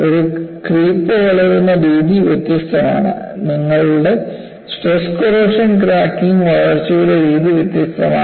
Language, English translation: Malayalam, So, the way a creep damage grows is different; the way your stress corrosion cracking growth is different